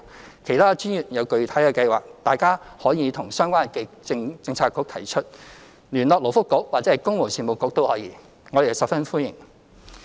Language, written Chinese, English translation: Cantonese, 若其他專業有具體的計劃，大家可以向相關政策局提出，聯絡勞福局或公務員事務局亦可，我們十分歡迎。, If other professions have come up with concrete schemes they are very much welcome to put them forward to the relevant Policy Bureaux or contact the Labour and Welfare Bureau or the Civil Service Bureau